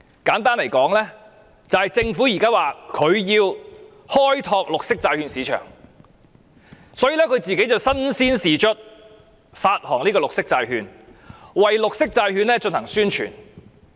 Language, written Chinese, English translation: Cantonese, 簡單而言，政府現在說為了開拓綠色債券市場，它自己便身先士卒，發行綠色債券，為綠色債券進行宣傳。, In short now the Government is saying that to tap the green bond market it is taking the lead in issuing and conducting publicity for green bonds